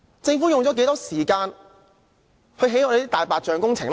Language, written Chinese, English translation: Cantonese, 政府用了多少時間興建"大白象"工程呢？, How much time has the Government spent on taking forward those white elephant works projects?